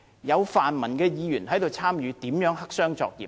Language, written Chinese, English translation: Cantonese, 有泛民的區議員參與其中，如何黑箱作業？, Given the participation by pan - democrat DC members how can it be a black - box operation?